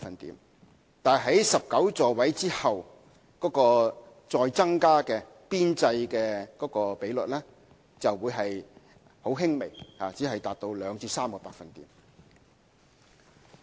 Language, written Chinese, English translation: Cantonese, 不過，在19個座位之後再增加的邊際比率只會很輕微，只是達到2至3個百分點。, However the marginal reduction in the ratio for each seat increased beyond 19 seats would only be an insignificant 2 to 3 percentage points